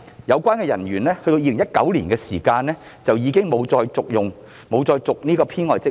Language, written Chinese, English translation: Cantonese, 相關人員在2019年已沒有再續任這個編外職位。, The officer concerned had not been re - appointed to the supernumerary post in 2019